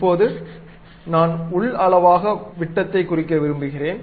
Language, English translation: Tamil, Now, I would like to give internally the diameter